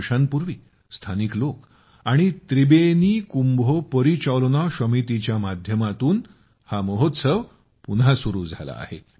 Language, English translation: Marathi, Two years ago, the festival has been started again by the local people and through 'Tribeni Kumbho Porichalona Shomiti'